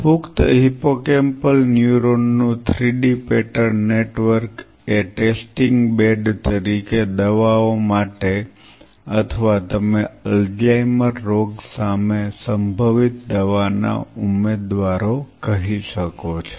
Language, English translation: Gujarati, 3D pattern network of adult hippocampal neuron as test bed for screening drugs or you can say potential drug candidates against Alzheimer’s disease